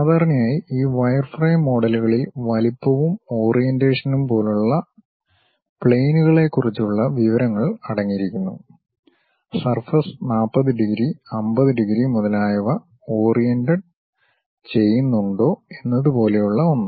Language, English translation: Malayalam, Usually this wireframe models contain information on planes such as the size and orientation; something like whether the surface is oriented by 40 degrees, 50 degrees and so on